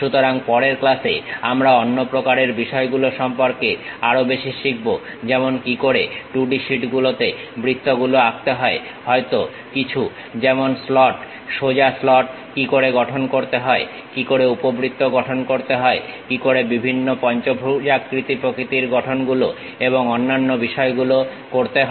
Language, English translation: Bengali, So, in the next class we will learn more about other kind of things like how to draw circles on 2D sheets perhaps something like slots, straight slot how to construct it, how to construct ellipse, how to construct different kind of pentagonal kind of structures and other things